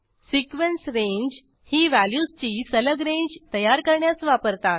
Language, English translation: Marathi, Sequence range is used to create a range of successive values